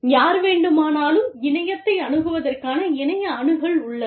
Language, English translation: Tamil, Anyone and everyone has access, to the internet